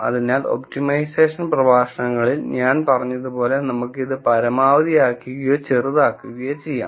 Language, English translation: Malayalam, So, I said in the optimization lectures we could look at maximizing or minimizing